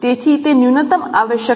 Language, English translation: Gujarati, So that is the minimum requirement